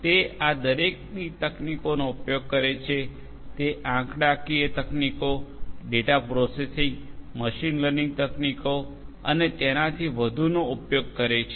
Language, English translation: Gujarati, It uses techniques from each of these it uses; statistical techniques, data processing, machine learning techniques and so on